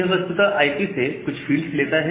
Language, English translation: Hindi, So, it actually takes certain fields from the IP header